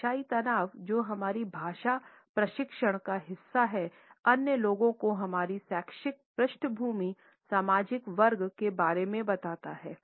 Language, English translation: Hindi, The linguistic stress, which is a part of our language training, tells the other people about our educational background, the social class